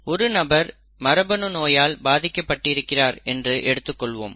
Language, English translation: Tamil, Suppose a person is affected with a genetic disease